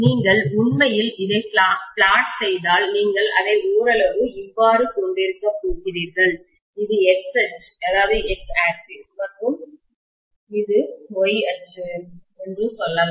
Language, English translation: Tamil, If you actually plot this, you are going to have it somewhat like this, let us say this is the X axis and this is the Y axis